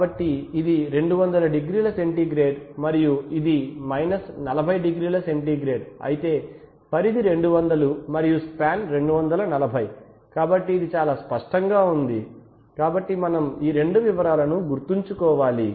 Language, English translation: Telugu, So if this is 200 degree centigrade and if this is 40 degree centigrade then the range is 200 and the span is 240, right so that is pretty obvious, so we have to remember these two details